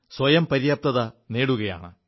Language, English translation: Malayalam, It is becoming self reliant